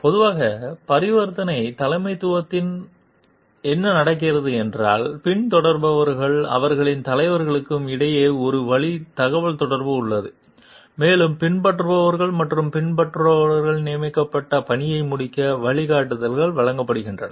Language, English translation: Tamil, Generally, what happens in transactional leadership and there is one way communication between the followers and their leaders and the followers and the followers are given direction to complete the assigned task